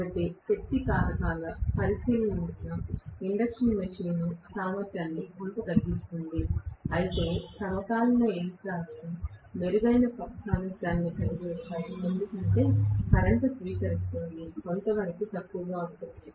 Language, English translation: Telugu, So induction machine will bring down the efficiency quite a bit because of the power factor considerations whereas synchronous machines will be able to have a better efficiency because of the fact that the current drawn itself is somewhat lower right